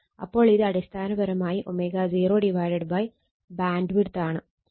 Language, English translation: Malayalam, So, it is basically W 0 by BW bandwidth